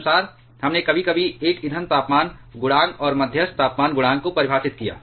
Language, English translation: Hindi, Accordingly, we sometimes defined a fuel temperature coefficient and moderator temperature coefficients